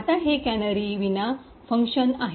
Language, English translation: Marathi, Now this is a function without canaries